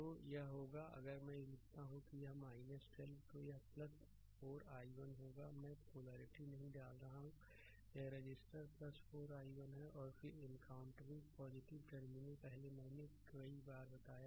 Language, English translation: Hindi, So, it will be if I write here it will be minus 12 right then it will be plus 4 i 1 right I am not putting polarities this is the thing resistor plus 4 i 1, then encountering plus terminal first I told you several time right